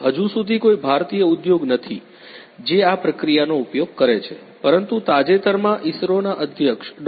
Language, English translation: Gujarati, There is no Indian industry so far you know that use this process, but there there is a recent announcement by the chairman of the ISRO Dr